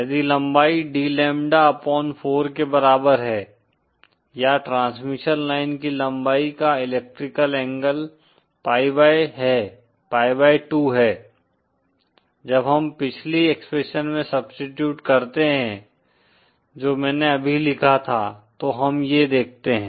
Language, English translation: Hindi, If the length D is equal to lambda upon 4, or the electrical angle of the length of transmission line is pi by 2, then what we observe is, when we substitute into the previous expression that I just wrote down